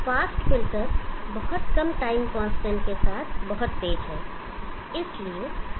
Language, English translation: Hindi, The fast filter is much faster with the very low time constant